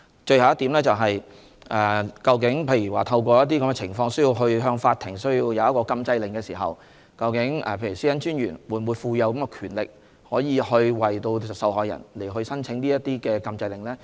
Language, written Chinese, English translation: Cantonese, 最後一點是，如果出現某些情況，以致需要向法庭申請禁制令時，會否賦予專員權力為受害人申請禁制令呢？, Finally under certain circumstances where an application for an injunction order of the Court becomes necessary will the Commissioner be conferred the power to apply for such an injunction order on behalf of the victim?